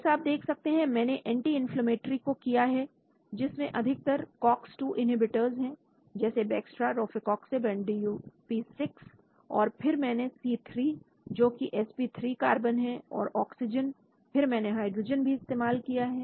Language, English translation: Hindi, As you can see I have done anti inflammatory mostly Cox 2 inhibitors like Bextra, Rofecoxib and DuP 6 and then I used probe C3 that is sp3 carbon, oxygen then I also used hydrogen